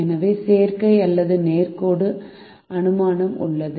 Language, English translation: Tamil, so that is the additive, it or linearity assumption